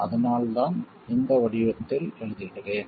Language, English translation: Tamil, There is a reason I write it in this form